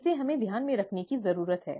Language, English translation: Hindi, This we need to keep in mind